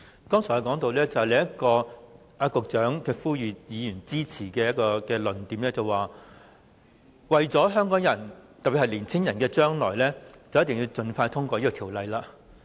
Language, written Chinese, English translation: Cantonese, 剛才我提到司長呼籲議員支持時，他說到為了香港人，特別是為了年青人的將來，我們便必須盡快通過《條例草案》。, Just now I have mentioned that when the Secretary was trying to seek Members support he said that we should swiftly pass the Guangzhou - Shenzhen - Hong Kong Express Rail Link Co - location Bill for the future of Hong Kong people especially young people in Hong Kong